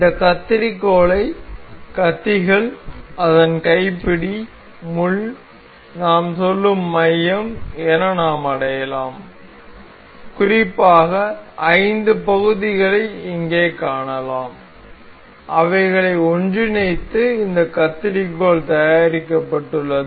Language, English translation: Tamil, We can identify this scissor as blades, its handle, the pin, the pivot we say and so, the the there are particular there are particularly 5 parts we can see over here, that have been assembled to make this particular scissor